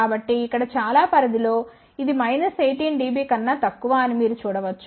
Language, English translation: Telugu, So, you can see that in most of the range here it is less than minus 18 dB